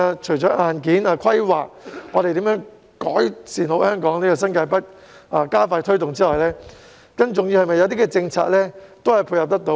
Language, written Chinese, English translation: Cantonese, 除了硬件規劃、如何改善香港新界北、加快推動其發展之外，更重要的是政策可以配合。, Apart from hardware planning improving Hong Kongs New Territories North and expediting its development it is more important that they are supported by policies